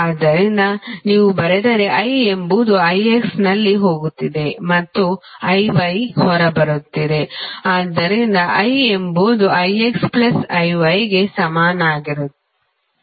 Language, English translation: Kannada, So, if you write I is going in I X and I Y are coming out, so I would be equal to I X plus I Y